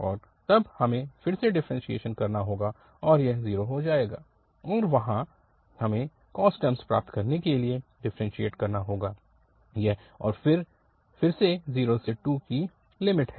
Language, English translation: Hindi, And then we have to differentiate again because this will become 0 and there, we have to differentiate to get this cos term and the limits from 0 to 2 again